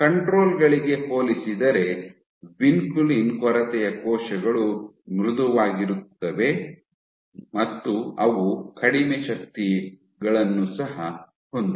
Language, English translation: Kannada, Also vinculin deficient cells are softer compared to controls and they also exert lesser forces